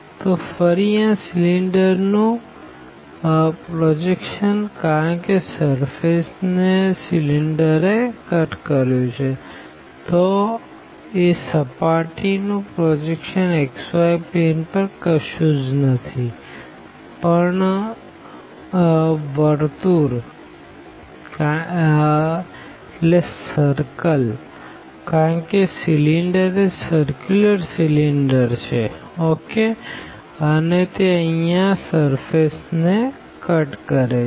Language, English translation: Gujarati, So, again the projection of this cylinder because the cylinder cut that surface; so the projection of that surface over the xy plane will be nothing, but the circle because the cylinder is this circular cylinder and the cylinder is cutting the surface there